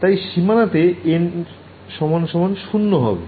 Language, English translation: Bengali, So, at the boundary, what is the value of n